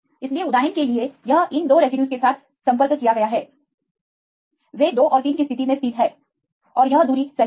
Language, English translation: Hindi, So, for example, this one is contacted with these 2 residues, they are located in position 2 and 3 and this is the distance right